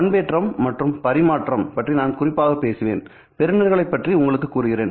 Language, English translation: Tamil, I will talk specifically about modulation and transmission also introduce you to receivers